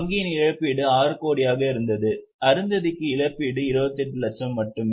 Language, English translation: Tamil, Her compensation was 6 crores versus compensation for Arundatiji is only 28 lakhs